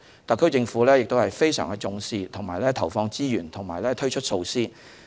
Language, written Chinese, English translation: Cantonese, 特區政府非常重視這方面的工作，並投放資源和推出措施。, The SAR Government attaches great importance to this aspect of work and has injected resources and introduced some measures